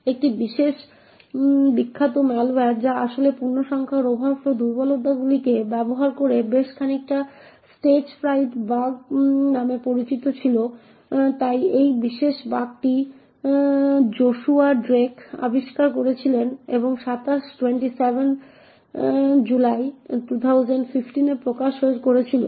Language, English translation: Bengali, One quite famous malware which actually uses integer overflow vulnerabilities quite a bit was known as the Stagefright bug, so this particular bug was discovered by Joshua Drake and was disclosed on July 27th, 2015